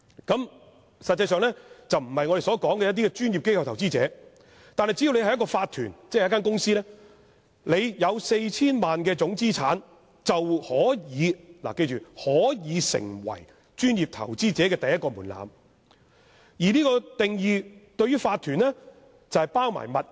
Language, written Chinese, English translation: Cantonese, 這實際上並不是我們所說的專業的機構投資者，但只要一個法團或公司的總資產達到 4,000 萬元，便已達到專業投資者的第一個門檻，而這個定義之下的法團資產是包括物業的。, Corporations or companies of this kind are actually not corporate PIs in the general sense but as long as they have total assets of not less than 40 million they meet the first monetary threshold as PIs and under such a definition total assets of corporations do include real property